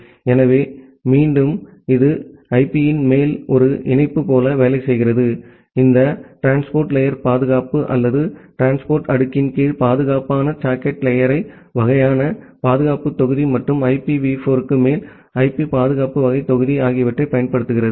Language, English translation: Tamil, So, again that works like a patch on top of IP, using this transport layer security or secure socket layer kind of security module under transport layer and IP security kind of module on top of IPv4